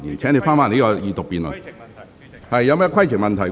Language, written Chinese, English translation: Cantonese, 郭家麒議員，你有甚麼規程問題？, Dr KWOK Ka - ki what is your point of order?